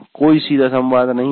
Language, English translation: Hindi, There is no direct interaction